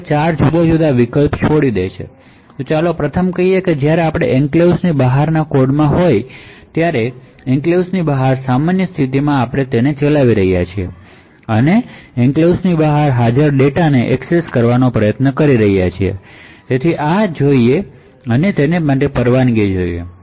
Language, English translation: Gujarati, So this leaves us four different alternatives so let us say the first is when you are in the code outside the enclave that is you are executing in normal mode outside the enclave and you are trying to access the data present outside the enclave, so this should be permitted